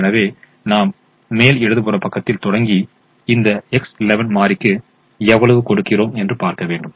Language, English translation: Tamil, so we start with the top left hand position and see how much we give to this x one one variable